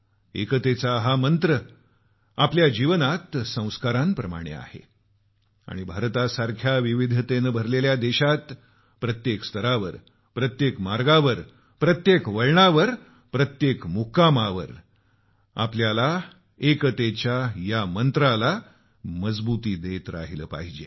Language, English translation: Marathi, This mantra of unity is like a sacrament in our life and in a country like ours filled with diversities, we should continue to strengthen this mantra of unison on all paths, at every bend, and at every pitstop